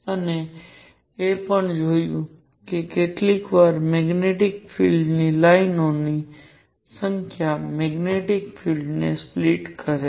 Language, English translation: Gujarati, And also saw that at times the number of lines in magnetic field number of lines split magnetic field were even